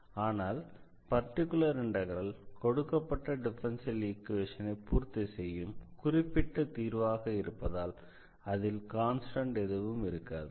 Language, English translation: Tamil, And this particular integral which is a particular a solution of this given differential equation will have will not have a constant